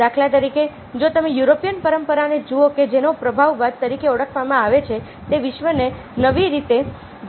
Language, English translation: Gujarati, if we look at european tradition, which is known as impresionismo, it happen to look at the world in a new way